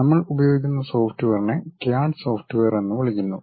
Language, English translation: Malayalam, And the software whatever we use is popularly called as CAD software